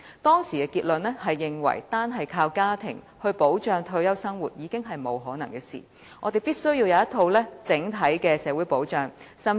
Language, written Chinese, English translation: Cantonese, 當時的結論是，單靠家庭支援來保障退休生活，已經不可能，我們必須有一套整體的社會保障制度。, The conclusion at that time was that it would be impossible to rely on family support as retirement protection and that a comprehensive social security system should be established